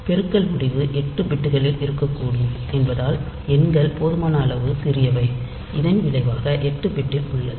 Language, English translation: Tamil, So, it is assumed that since the multiplication result can be contained in 8bits the numbers are small enough, so that the result is contained in 8bit